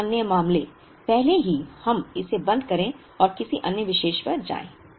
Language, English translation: Hindi, Two other issues before we close this and move to another topic